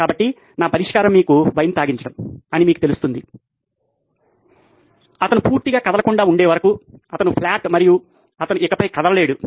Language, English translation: Telugu, So, my solution would be you know feed him wine, till he is absolutely stoned, he is flat and he can’t move anymore